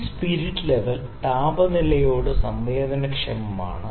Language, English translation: Malayalam, So, this spirit level is sensitive to the temperature